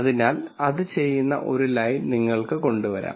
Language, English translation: Malayalam, So, you could you could come up with a line that does it